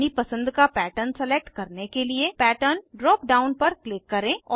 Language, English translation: Hindi, Click on Pattern drop down, to select a pattern of your choice